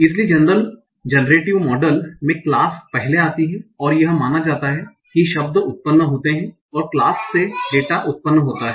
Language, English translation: Hindi, So in generative model the class comes first and it is assumed that the words are generated, the data is generated from the class